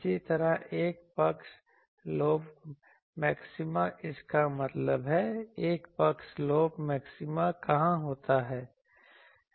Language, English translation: Hindi, Similarly, 1st side lobe maxima; that means, 1st side lobe maxima where occurs